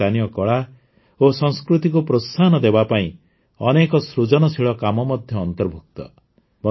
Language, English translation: Odia, In this, many innovative endeavours are also undertaken to promote local art and culture